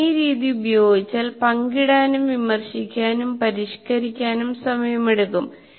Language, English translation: Malayalam, Once you go through this, use this particular method, it takes the time for sharing and critiquing and modify